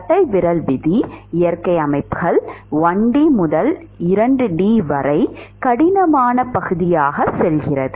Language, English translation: Tamil, As the rule of thumb, natural systems, the tough part is going from 1D to 2D